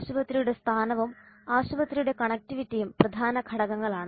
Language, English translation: Malayalam, The location of the hospital and connectivity of the hospital are important elements